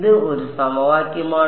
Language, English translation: Malayalam, This is one equation